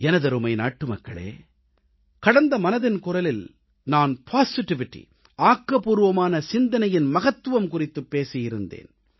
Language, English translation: Tamil, My dear countrymen, I had talked about positivity during the previous episode of Mann Ki Baat